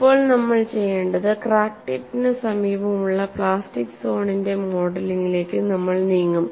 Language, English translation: Malayalam, Now, what we will do is, we will move on to modeling of plastic zone near the vicinity of the crack tip